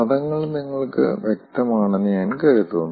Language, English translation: Malayalam, i think terminologies are clear to you